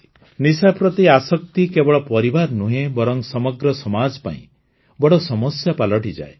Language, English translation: Odia, Drug addiction becomes a big problem not only for the family, but for the whole society